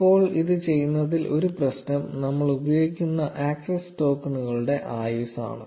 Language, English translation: Malayalam, Now one problem in doing this is the lifetime of the access tokens that we are using